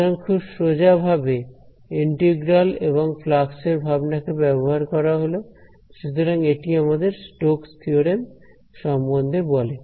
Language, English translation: Bengali, So again very straightforward using the simple intuition about integrals and flux; so this tells us about the Stoke’s theorem